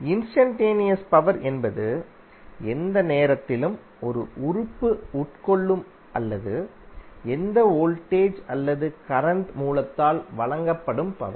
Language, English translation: Tamil, Instantaneous power is the power at any instant of time consumed by an element or being supplied by any voltage or current source